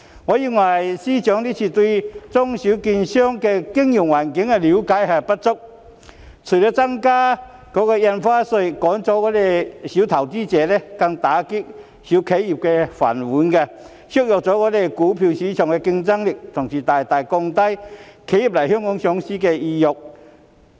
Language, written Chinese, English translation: Cantonese, 我認為司長這次對中小券商的經營環境了解不足，增加印花稅除了會趕走小投資者，更會打爛中小企的"飯碗"，削弱香港股票市場的競爭力，同時亦會大大降低企業來港上市的意欲。, This time I think FS does not have enough understanding of the business environment of small and medium securities dealers . Increasing Stamp Duty will not only drive away small investors but will also smash the rice bowls of small and medium enterprises SMEs and weaken the competitiveness of Hong Kongs stock market . Worse still it will substantially dampen the desire of enterprises to seek listing in Hong Kong